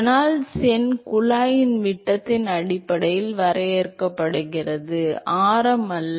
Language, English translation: Tamil, Reynolds number is defined based on the diameter of the tube not the radius